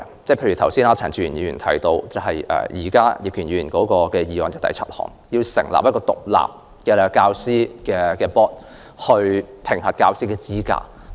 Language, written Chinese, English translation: Cantonese, 例如，陳志全議員剛才提到，葉建源議員的原議案第七項建議成立一個獨立的教師公會，以評核教師資格。, For example Mr CHAN Chi - chuen mentioned just now that item 7 of Mr IP Kin - yuens original motion proposed establishing an independent and professional General Teaching Council for assessment of teacher qualifications